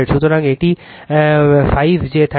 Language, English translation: Bengali, So, it is 5 plus j 31